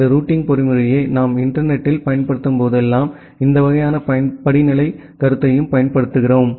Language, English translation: Tamil, And whenever we apply this routing mechanism over the internet we also apply this kind of hierarchical concept